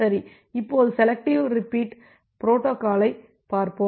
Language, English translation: Tamil, OK, now let us look into the selective repeat protocol